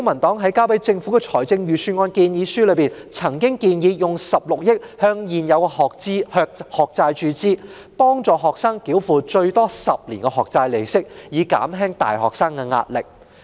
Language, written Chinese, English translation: Cantonese, 在提交予政府的財政預算案建議書中，公民黨曾建議動用16億元注資未償還學債，幫助學生繳付最多10年的學債利息，以減輕大學生的壓力。, In our submission to the Government on the Budget the Civic Party proposed injecting 1.6 billion into the unpaid student loan debts to help students pay the interest of their loans for 10 years at the maximum thereby relieving the pressure on university students